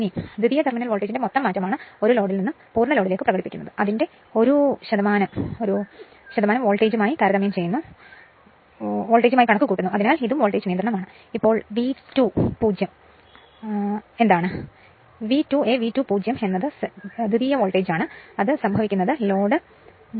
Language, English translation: Malayalam, So, it is the net change in the secondary terminal voltage from no load to full load expressed as a percentage of it is rated voltage so, this is my voltage regulation right